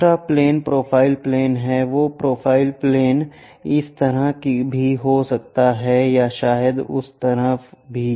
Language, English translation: Hindi, The other plane is profile plane, that profile plane can be on this side or perhaps on that side also